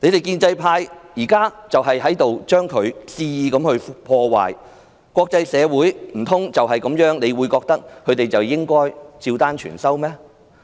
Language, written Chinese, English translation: Cantonese, 建制派正在肆意破壞，難道他們認為國際社會便會對他們的話照單全收嗎？, The pro - establishment camp is disrupting wilfully . Do they really expect that the international community believes everything they say?